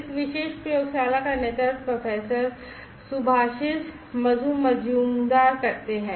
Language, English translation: Hindi, This particular lab is lead by Professor Subhasish Basu Majumder